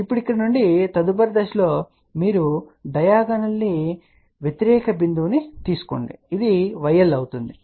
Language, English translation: Telugu, So, from here now thus next step is you take the diagonally opposite point which will be y L